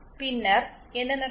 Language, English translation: Tamil, Then what happens